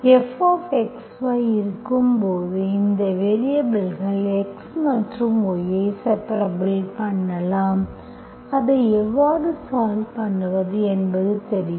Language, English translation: Tamil, When F of x, y is, you can separate these variables x and y, you know how to solve